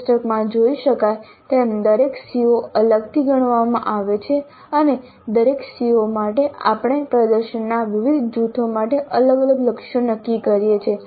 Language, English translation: Gujarati, As can be seen in the table, each CO is considered separately and for each CO we set different targets for different groups of performances